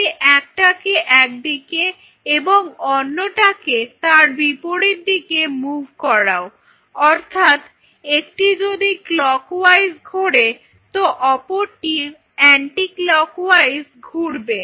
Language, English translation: Bengali, You move one in this direction other one is the reverse direction one if it is one is going clockwise the other one will go to reverse clockwise so, anti clockwise fine